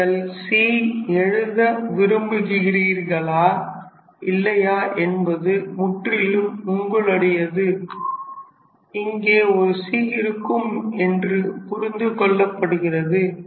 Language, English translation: Tamil, So, it is totally up to you whether you want to write the c or not it is under understood that it will have a c here